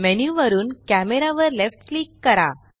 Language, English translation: Marathi, Left click camera from the menu